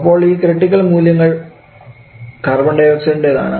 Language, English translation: Malayalam, So this the critical point for nitrogen and this is carbon dioxide